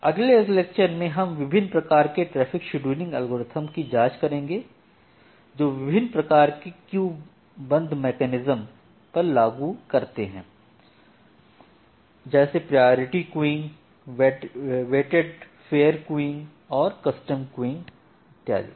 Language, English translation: Hindi, In the next class we will look into the different kind of traffic scheduling algorithms which are there by applying different type of queuing mechanisms, like priority queuing, weighted fair queuing, custom queuing and so on